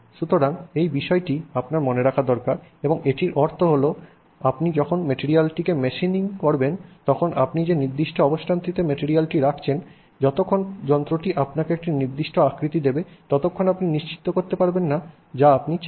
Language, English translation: Bengali, So, that is the point you need to remember and also it also means that when you machine the material you can sort of not worry about the specific position in which you are keeping the material as long as you know the machining will get you the shape that you want right because in general the properties are going to be the same any which way you want